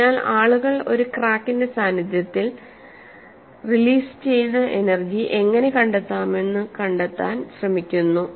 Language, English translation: Malayalam, So, people are trying to find out in the presence of a crack, how to find out the energy release